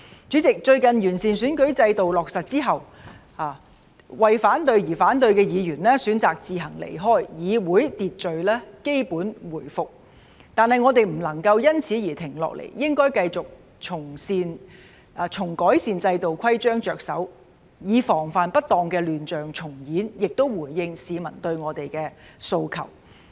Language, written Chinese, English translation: Cantonese, 主席，最近完善選舉制度落實之後，為反對而反對的議員選擇自行離開，議會秩序基本回復，但我們不能夠因此而停下來，應該繼續從改善制度規章着手，以防範不當的亂象重演，同時回應市民對我們的訴求。, President following the recent implementation of the improved electoral system Members who opposed for the sake of opposing chose to leave on their own whereupon the Council has basically restored its order . However we must not stop here because of this . We should continue to go about improving the systems and rules so as to prevent the recurrence of the chaos while responding to the public expectations on us